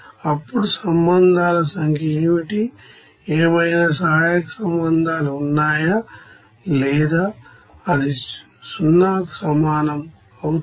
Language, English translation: Telugu, And then what will be the number of relations, is there any auxiliary relations or not, that will be equals to 0